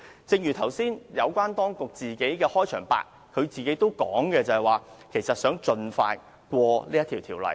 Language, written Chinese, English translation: Cantonese, 正如局長剛才在自己的開場白中表示，想盡快通過這項《條例草案》。, Just now the Secretary expressed in his opening speech his wish for this Bill to be passed as soon as possible